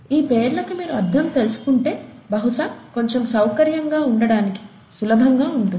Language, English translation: Telugu, If you know the , if you know the meaning of the names, probably it’s a little easier to get more comfortable